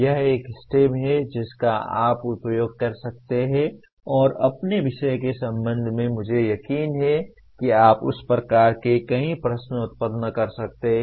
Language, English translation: Hindi, This is a STEM that you can use and with respect to your subject I am sure you can generate several questions of that type